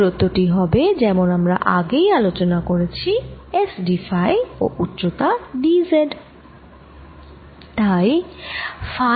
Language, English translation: Bengali, this distance is going to be, as we just saw, s d phi and the height is d z